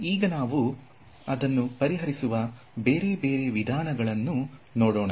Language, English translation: Kannada, So, now let us look at the different ways of solving them